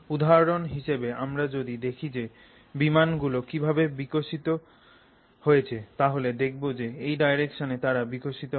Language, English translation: Bengali, If you look at how aeroplanes have evolved for example, that's the direction in which they have always been evolving